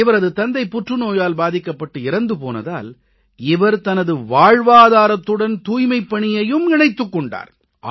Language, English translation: Tamil, His father had died of cancer at a very young age but he connected his livelihood with cleanliness